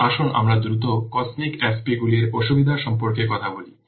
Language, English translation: Bengali, Now let's quickly see about the what disadvantages of the cosmic FPs